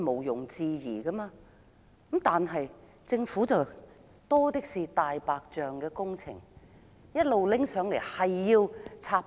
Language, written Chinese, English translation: Cantonese, 然而，政府有很多"大白象"工程，不斷提交上來插隊。, However the Government has kept proposing white elephant projects to jump the queue